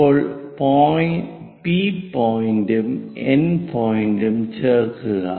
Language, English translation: Malayalam, Now, join P point and N point